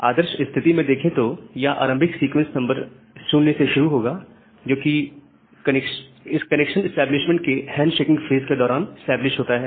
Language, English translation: Hindi, But ideally it will start from the initial sequence number that has been established during the hand shaking phase of the connection establishment